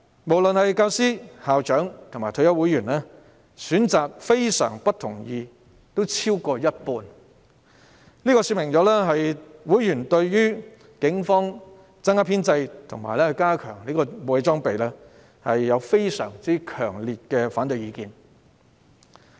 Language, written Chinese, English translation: Cantonese, 不論是教師、校長或退休會員，均有過半數選擇非常不同意，這說明會員對於警方增加編制和加強武器裝備有非常強烈的反對意見。, The majority be they teachers principals or retired members chose strongly disagree . This illustrated members strong objection to the increase in establishment and enhancement of weapons and equipment of the Police